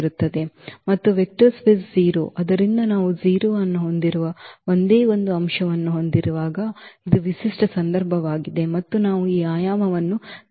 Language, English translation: Kannada, And the vector space 0 so, this is the special case when we have only one element that is 0 and we define this dimension as 0